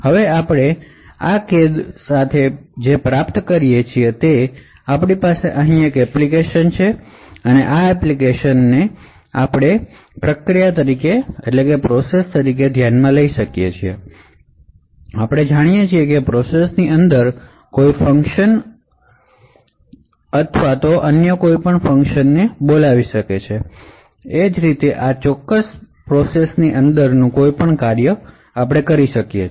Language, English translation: Gujarati, Now what we achieve with Fine grained confinement is that we have an application over here, now this application you could consider this as a process and as we know within a process any function can invoke any other function, Similarly any function within this particular process can access any global data or data present in the heap of this entire process space